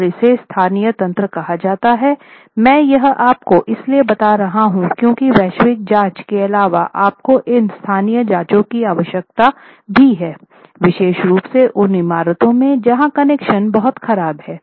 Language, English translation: Hindi, So, in such cases what is done is called a local mechanism and I am just introducing this to you so that you know that apart from the global checks you also need to do these local checks, particularly in buildings where connections are very poor